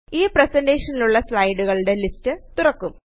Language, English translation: Malayalam, The list of slides present in this presentation opens up